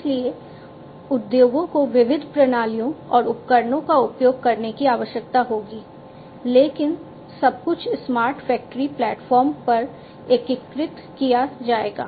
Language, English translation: Hindi, So, industries will need to use diverse systems and equipment but everything will be integrated on the smart factory platform